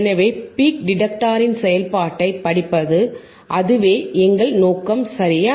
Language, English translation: Tamil, So, to study the work the study the working of peak detector, that is our aim right